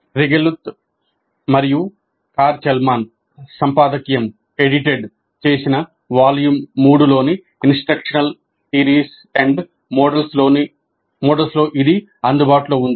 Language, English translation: Telugu, This is available in the instructional theories and models volume 3 edited by Regulath and Karl Chalman